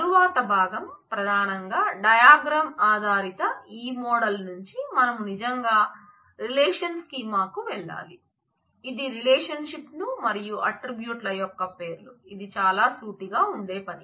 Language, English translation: Telugu, Next comes the part where, from this model which is primarily diagram based we have to really go to the relational schema, which is names of relations and attributes which is pretty much a straightforward job